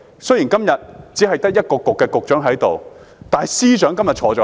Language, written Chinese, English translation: Cantonese, 雖然今天只得一個政策局的局長在席，但司長今天在席。, Today only the Secretary of one Policy Bureau is present but the Chief Secretary for Administration is also present